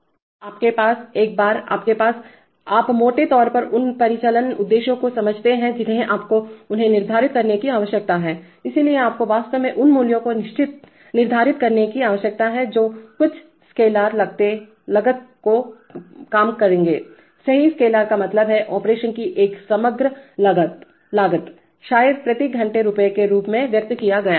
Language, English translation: Hindi, So you have to, once you have the, you have, you broadly understand the operational objectives you need to quantify them, so you need to actually set values which will minimize some scalar cost, right, scalar means a single overall cost of operation, in perhaps expressed as rupees of rupees per hour